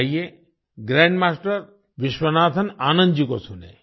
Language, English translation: Hindi, Come, listen to Grandmaster Vishwanathan Anand ji